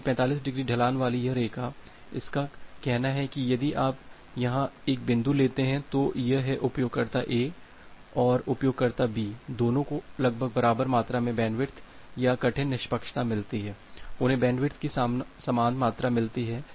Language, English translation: Hindi, Because this line with the 45 degree slope, its says you that well if you take one point here, that both user a and user b gets almost equal amount of bandwidth or in hard fairness, they get equal amount of bandwidth